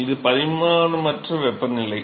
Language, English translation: Tamil, This is dimensionless temperature